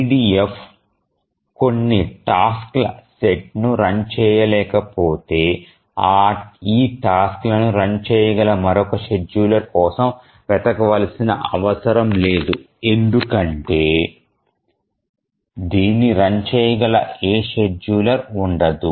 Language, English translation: Telugu, So, if EDF cannot run a set of tasks, it is not necessary to look for another scheduler which can run this task because there will exist no scheduler which can run it